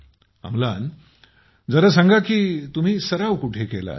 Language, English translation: Marathi, Amlan just tell me where did you practice mostly